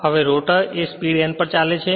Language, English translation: Gujarati, Rotor is not moving n is equal to 0